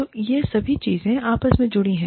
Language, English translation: Hindi, So, all of these things, are connected, now